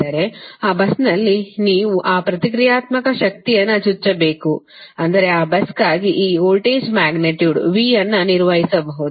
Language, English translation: Kannada, that means at that bus you have to inject that reactive power such that you can maintain this voltage, magnitude v for that bus